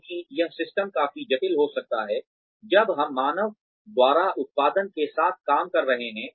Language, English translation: Hindi, Because this, the systems can be quite complex, when we are dealing with, output by human beings